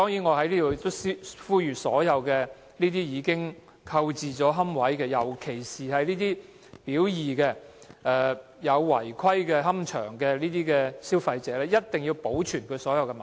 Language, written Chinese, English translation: Cantonese, 我在此呼籲所有已經購置龕位，尤其是"表二"列出的違規龕場龕位的消費者，一定要保存所有文件。, I hereby urge all consumers who have purchased niches particularly niches in unauthorized columbaria as set out in Part B to retain all the relevant papers